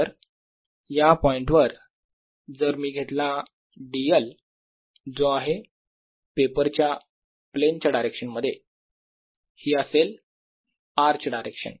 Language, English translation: Marathi, so at this point if i take d l, which is in the direction of the plane of this paper, in this direction, this is the direction of r